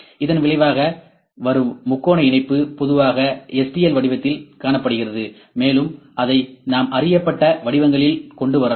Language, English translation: Tamil, So, the resultant triangle mesh is typically spotted in this format stl format, and we can brought it into the known forms